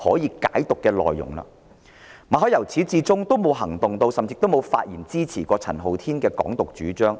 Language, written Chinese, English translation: Cantonese, 由始至終，馬凱也沒有作出任何行動，甚至未有發言支持陳浩天的"港獨"主張。, So far Victor MALLET has not taken any action or even spoken in support of Andy CHANs proposition of Hong Kong independence